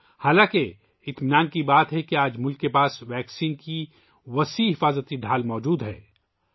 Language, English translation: Urdu, However, it is a matter of satisfaction that today the country has a comprehensive protective shield of a vaccine